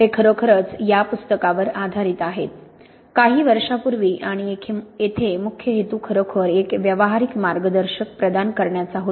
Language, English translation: Marathi, They are really based on this book, couple of years ago and the main intention here was to really provide a practical guide